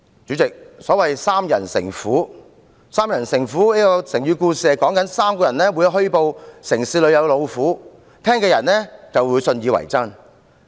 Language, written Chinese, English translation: Cantonese, 主席，所謂"三人成虎"，意指3個人虛報城市出現老虎，聽到的人信以為真。, President three people spreading reports of a tiger roaming in a city makes you believe there is a tiger around